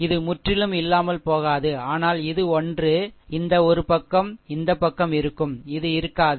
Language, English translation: Tamil, And this will not be there completely gone, but this one, this one, this side will be there, this will not be there